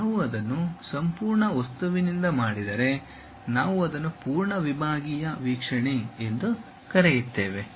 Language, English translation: Kannada, If we do that with the entire object, then we call full sectional view